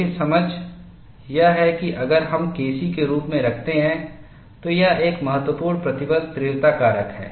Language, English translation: Hindi, See, the understanding is, if we put as K c, it is a critical stress intensity factor